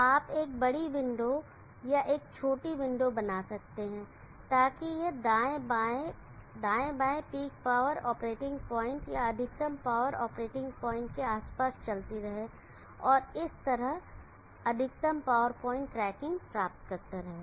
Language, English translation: Hindi, So you can make a big window or a small window so that this will be moving right left, right left, around the peak power operating point or the maximum power operating point and thereby achieving maximum power point tracking